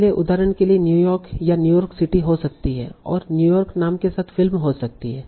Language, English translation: Hindi, So, for example, New York, it can be New York City and there might be a movie with the name New York, they might be TV series with the name New York